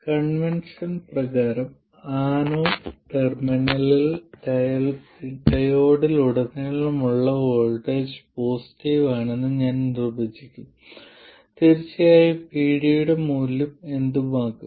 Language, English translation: Malayalam, By convention I will define the voltage across the diode to be positive at the anode terminal